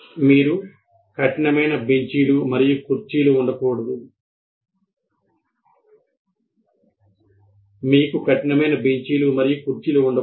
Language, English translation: Telugu, You cannot have rigid benches and chairs and expect what do you call group type of group discussions